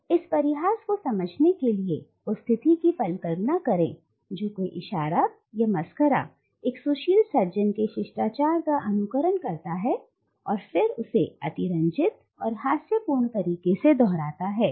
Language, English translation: Hindi, And in order to understand this mockery, even imagine the situation when a gesture or a clown picks up the manners of a suave gentleman and then repeats it after him in an exaggerated and comic manner